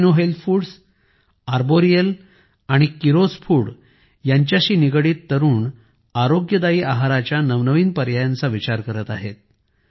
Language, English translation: Marathi, The youth associated with Alpino Health Foods, Arboreal and Keeros Foods are also making new innovations regarding healthy food options